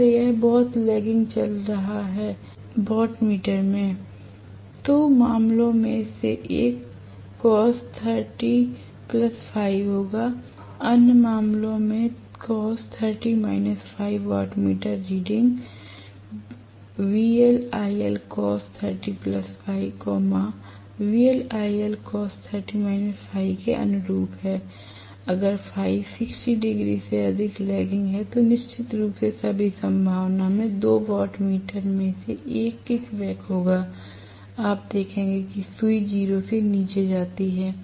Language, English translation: Hindi, If it is extremely lagging I will have into wattmeter if you may recall cos of 30 plus Φ in one of the cases, cos of 30 minus Φ as the other case, wattmeter readings correspond to VL IL cos30 plus Φ, VL IL cos 30 minus Φ, if Φ is greater than 60 degrees lagging then in all probability 1 of the 2 wattmeter definitely will kickback, you would see that the needle goes below 0